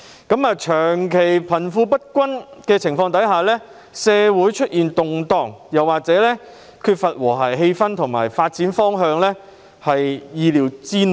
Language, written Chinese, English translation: Cantonese, 鑒於長期貧富不均，社會出現動盪、缺乏和諧氣氛或發展方向，實屬意料之內。, Given the prolonged wealth inequality it is not a wonder to see social unrests social disharmony and a lack of development direction